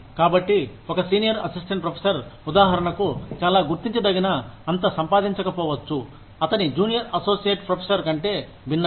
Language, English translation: Telugu, So, a senior assistant professor, for example, may not be earning, something very significantly, different from his junior associate professor